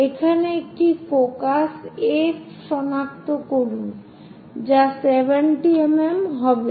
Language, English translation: Bengali, So, name this one as F which will be at 70 mm